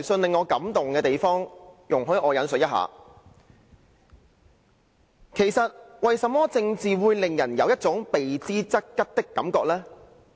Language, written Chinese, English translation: Cantonese, 這封電郵令我感動，容許我引述："其實，為甚麼政治會令人有一種避之則吉的感覺呢？, This email really touched me and I quote to this effect Why does politics give people an impression that people should try hard to avoid it?